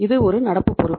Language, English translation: Tamil, This is a current liability